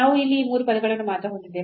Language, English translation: Kannada, So, we have only this these three terms here